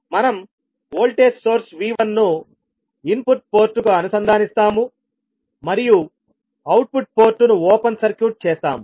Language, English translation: Telugu, We will connect the voltage source V1 to the input port and we will open circuit the output port